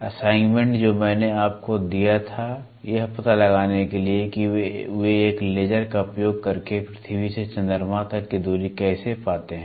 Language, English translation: Hindi, The assignment what I gave to you to find out how do they find the distance from the earth to moon is by using a laser, ok